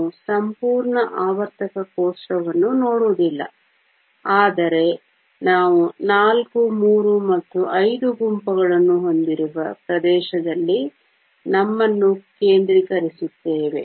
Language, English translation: Kannada, We won’t look at entire periodic table, but focus ourselves in the area where we have the groups four, three and five